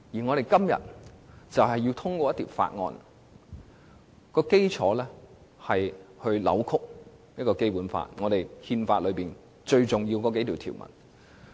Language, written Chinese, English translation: Cantonese, 我們今天要通過的《條例草案》，根本扭曲了《基本法》亦即是憲法最重要的數項條文。, The Bill to be passed by Members today basically represents a distortion of the Basic Law which carries the several most important provisions of the Constitution